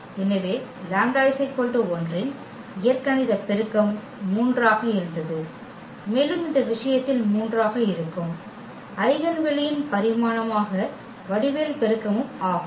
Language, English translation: Tamil, So, the algebraic multiplicity of lambda 1 was 3 and also the geometric multiplicity which is the dimension of the eigenspace that is also 3 in this case